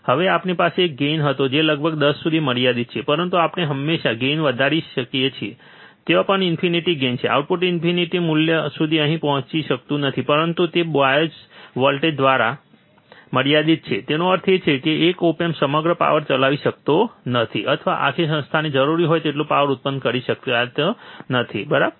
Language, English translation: Gujarati, Now we had a gain which is limited about 10, but we can always increase the gain, even there is infinite gain, the output cannot reach to infinite value, but it is limited by the bias voltage; that means, that one op amp cannot run the whole power or cannot generate much power that whole institute requires, right